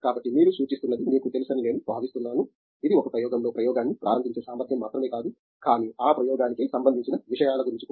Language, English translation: Telugu, So, I think then what you are suggesting is that you know, it’s not just may be the ability to start an experiment in an experiment, but the rigger with which that experiment is framed